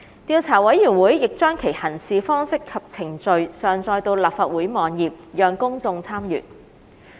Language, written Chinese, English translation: Cantonese, 調査委員會亦將其《行事方式及程序》上載到立法會網頁，讓公眾參閱。, The Investigation Committee has also uploaded its Practice and Procedure onto the website of the Legislative Council for perusal by the public